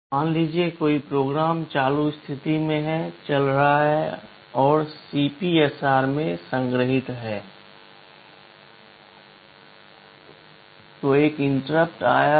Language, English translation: Hindi, Suppose a program is running current status is stored in CPSR, there is an interrupt that has come